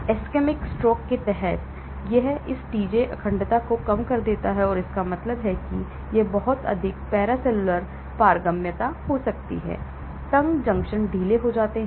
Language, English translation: Hindi, Under ischemic stroke, it decreases this TJ integrity that means, there could be a lot of paracellular permeability, though the tight junctions get loose